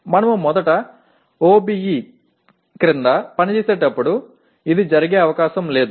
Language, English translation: Telugu, This is unlikely to happen when we first operate under the OBE